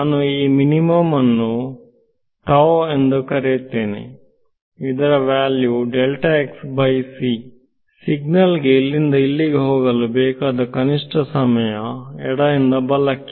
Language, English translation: Kannada, So, I am calling this minimum is tau this value of delta x by c is the minimum time required for the signal to go from here to here right from left to right ok